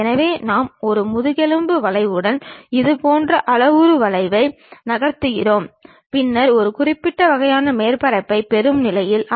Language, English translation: Tamil, So, we are moving such kind of parametric curve along a spine curve then also we will be in a position to get a particular kind of surface